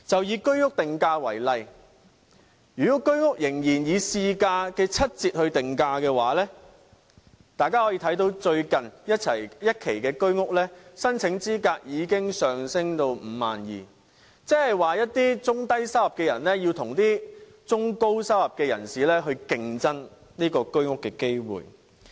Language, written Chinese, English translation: Cantonese, 以居屋定價為例，如果居屋仍然以市價的七折來定價，大家可以看到最新一期居屋的申請資格已經上升至 52,000 元，即是一些中低收入人士要與中高收入人士競爭購買居屋的機會。, In the case of the pricing for Home Ownership Scheme HOS flats if a discount of 30 % off the market value is offered for these flats Members may notice that the eligibility for applying for purchasing the latest HOS units has been raised to 52,000 which means that people in the lower middle income groups have to complete with those in the upper middle income groups for HOS flats